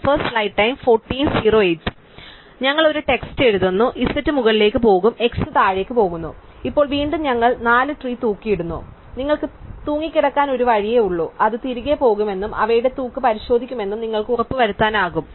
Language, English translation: Malayalam, So, we rotate write a text z goes up x goes down and now again we hang of the 4 trees and there is only one way to hang of you can verify it will go back and check out their hanging